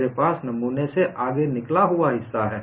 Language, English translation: Hindi, I have a protrusion that is out of the specimen